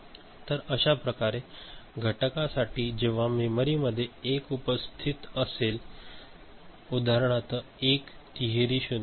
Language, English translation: Marathi, So, that way continuing for each of these cases wherever a 1 is present in the memory for example, 1 triple 0